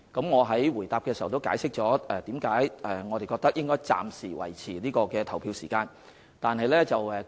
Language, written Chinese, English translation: Cantonese, 我已在主體答覆解釋為何我們認為應該暫時維持投票時間。, I have already explained in the main reply why we think the polling hours should be maintained for the time being